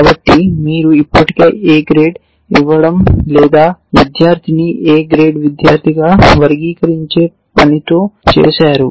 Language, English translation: Telugu, So, you have already done with the task of giving the a grade or classifying the student in as a student